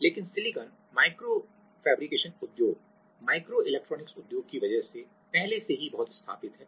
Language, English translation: Hindi, But, as the silicon microfabrication industry are already very much established because of the micro electronics industry